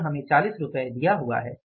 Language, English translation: Hindi, It is given to us is 40